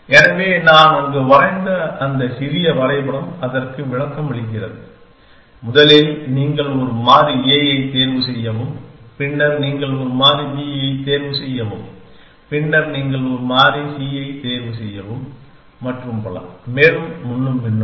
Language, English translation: Tamil, So, that small diagram that I have drawn on there is illustrative of that, that first you choose a variable a, then you choose a variable b, then you choose a variable c and so on and so forth